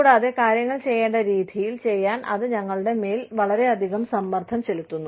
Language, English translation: Malayalam, And, that puts up a lot of pressure on us, to do things, the way, they need to be done